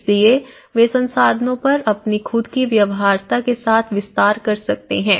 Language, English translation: Hindi, So, how they can expand with their own feasibilities on the resources